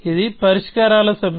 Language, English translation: Telugu, So, it was a set of solutions